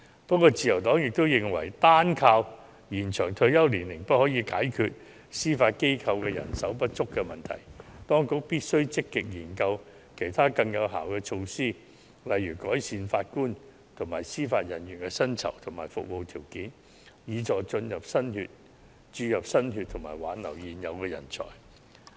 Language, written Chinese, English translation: Cantonese, 不過，自由黨也認為，單靠延展退休年齡不可解決司法機構人手不足問題，當局必須積極研究其他更有效的措施，例如改善法官及司法人員的薪酬及服務條件，以助注入新血及挽留現有人才。, Nevertheless the Liberal Party also believes that simply extending the retirement age cannot solve the problem of manpower shortage in the Judiciary . The Administration must actively explore other more effective measures such as improving the remuneration and conditions of service of JJOs in order to attract new blood and retain existing talents